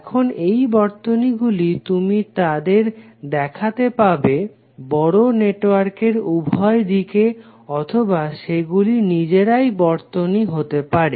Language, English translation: Bengali, Now these circuits are, you can see them either part of very large network or they can be the circuit themselves